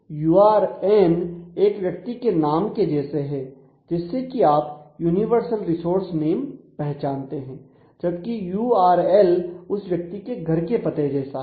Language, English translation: Hindi, So, URN functions like a person’s name; so, you can conceive it that way universal resource name and URL resembles that of a person’s street address